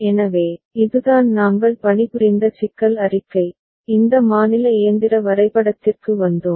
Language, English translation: Tamil, So, this is the problem statement with which we worked and we arrived at this state machine diagram ok